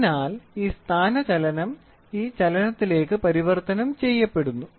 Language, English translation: Malayalam, So, this is this displacement is converted into this motion